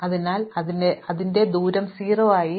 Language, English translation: Malayalam, So, we set its distance to 0